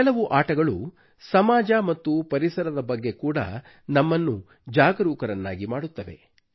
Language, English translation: Kannada, Many games also make us aware about our society, environment and other spheres